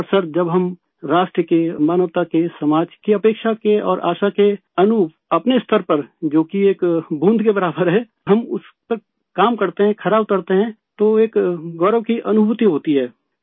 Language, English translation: Urdu, And sir, when according to the expectation and hope of the nation, humanity and society, we function at our optimum which is equal to a drop of water, we work according to those standards and measure upto them, then there is a feeling of pride